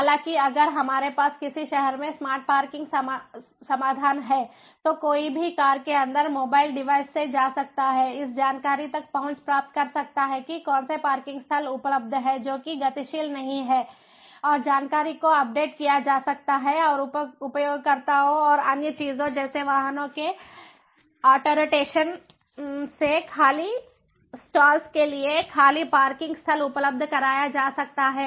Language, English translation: Hindi, however, if we have a smart parking solution in a city, then one can one can, from the mobile device inside the car, one can get access to this information about which parking lots are available, which ones are not, and dynamically that information can be updated and made available to the users and other things like autorotation of vehicles to empty slots, empty parking lots, auto charging for the services that are provided, detection of vacant lots in the parking lot and so on